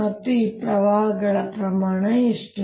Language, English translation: Kannada, and what is the amount of these currents